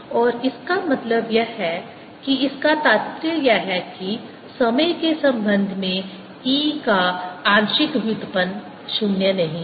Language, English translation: Hindi, and this means this immediately implies that partial derivative of e with respect to time is not zero